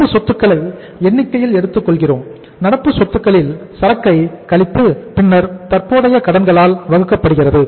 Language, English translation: Tamil, We take current assets in the numerator, current assets minus inventory divided by current liabilities